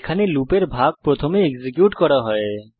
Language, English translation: Bengali, You can see that the body of loop is executed first